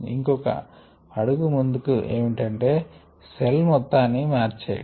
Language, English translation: Telugu, the further is changing the entire cell